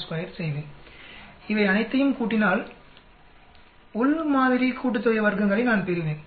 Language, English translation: Tamil, 56 square I will get if I add up all these, I will get total of within sum of squares